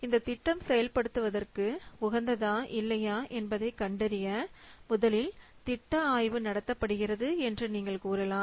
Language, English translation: Tamil, You can see that first the project study is conducted in order to know that whether the project is worth doing or not